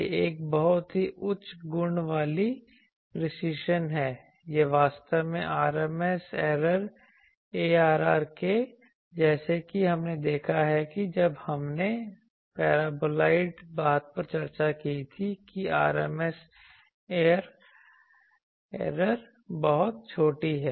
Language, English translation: Hindi, This is a very high quality high precision it is actually RMS error as we have seen when we are discussed paraboloide thing that RMS error is very small